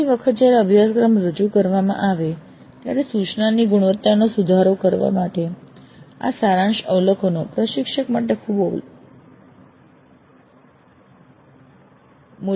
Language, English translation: Gujarati, These summary observations will be very valuable to the instructor in improving the quality of instruction next time the course is offered